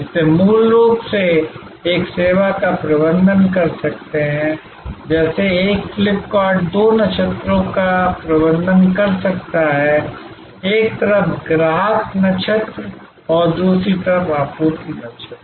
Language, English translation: Hindi, So, fundamentally, they can manage a service like, a FlipKart can manage two constellations, the customer constellations on one side and the supply constellations another side